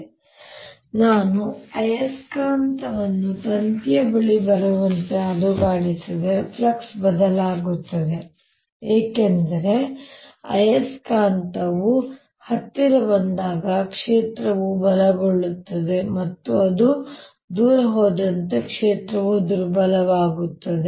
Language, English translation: Kannada, now, if i shake the magnet as it comes near the wire, the flux is going to change because as the magnet comes nearer, the field becomes stronger and as it goes away, field becomes weaker again